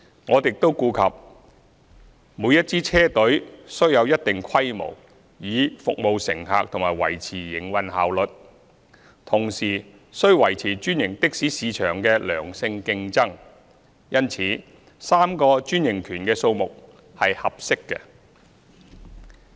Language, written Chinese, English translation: Cantonese, 我們亦顧及每支車隊須有一定規模以服務乘客及維持營運效率，同時須維持專營的士市場的良性競爭，因此3個專營權的數目是合適的。, We have also taken into account the fact that a fleet must be of a certain scale in order to serve passengers and maintain operational efficiency . At the same time it is necessary to maintain healthy competition in the franchised taxi market . Hence the number of franchises which is three is appropriate